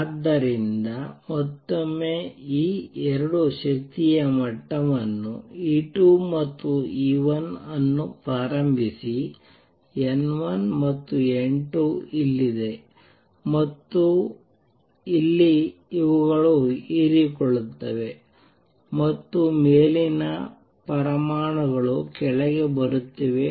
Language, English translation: Kannada, So, again take these 2 energy levels E 2 and E 1 the number initially is N 1 here and N 2 here these are absorbing and going up the upper atoms are coming down